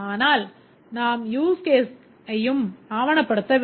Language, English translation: Tamil, But we need to also document the use cases